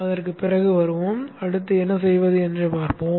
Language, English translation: Tamil, Anyway, we will come back to that later and we will see what to do next